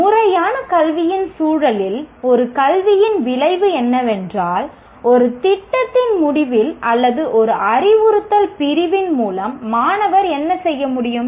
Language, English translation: Tamil, In the context of formal education, an outcome of an education is what the student should be able to do at the end of a program, a course, or an instructional unit